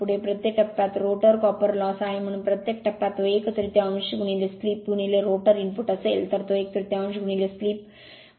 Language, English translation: Marathi, Next is rotor copper loss per phase, so per phase that is one third into slip into rotor input, so it is one third into slip into 8